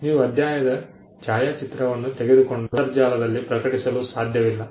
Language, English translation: Kannada, You cannot take a photograph of the chapter and post it on the internet